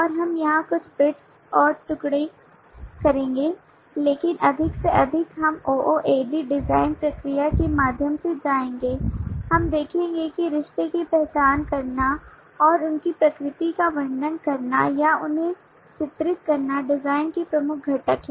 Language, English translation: Hindi, and we will do some bits and pieces of that here, but more and more as we will go through the ooad design process we will see that identifying relationship and describing their nature or characterizing them are key components of the design